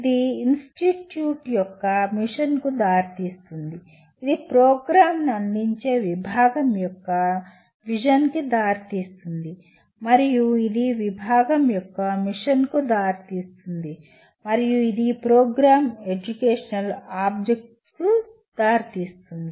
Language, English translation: Telugu, It leads to mission of the institute together lead to vision of the department which is offering the program and that leads to a mission of the department and this leads to Program Educational Objectives